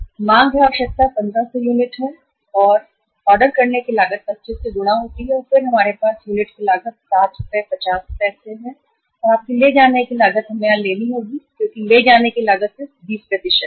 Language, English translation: Hindi, That is 2 into demand is requirement is 1500 unit and then the cost per unit is say sorry ordering cost is multiplied by the ordering cost is 25 and then we have the unit cost which is 7 Rs and 50 paisa and your carrying cost is we have to take here as the carrying cost is just 20%